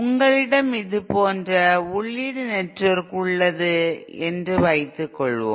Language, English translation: Tamil, Suppose, you have an input network like this